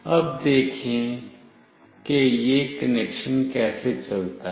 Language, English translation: Hindi, Now, see how this connection goes